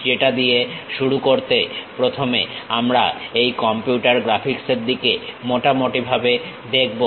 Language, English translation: Bengali, To begin with that first we will look at some overview on these computer graphics